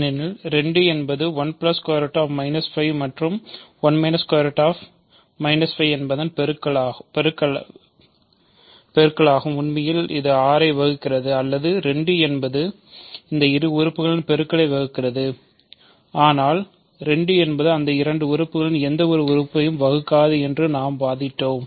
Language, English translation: Tamil, Because 2 divides the product of 1 plus root minus 5 and 1 minus root minus 5 which is actually 6, or 2 divides the product, but we argued that 2 does not divide either of them